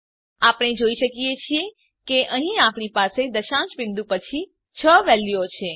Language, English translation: Gujarati, We can see that here we have six values after the decimal point